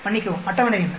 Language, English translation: Tamil, Sorry what is a table